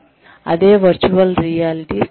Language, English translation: Telugu, And, that is virtual reality training